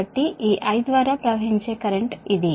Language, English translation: Telugu, so this is the leading current